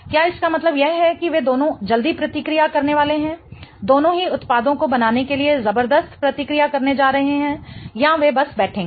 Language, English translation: Hindi, Does it mean that both of them are going to quickly react, both of them are going to tremendously react to form the products or will they just sit around right